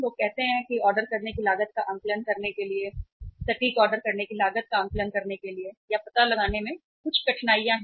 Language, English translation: Hindi, People say that to assess the ordering cost, there are say difficulties in assessing or finding out the exact ordering cost